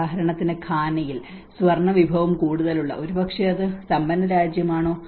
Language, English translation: Malayalam, Like for instance in Ghana, which has much of gold resource, but is it a rich country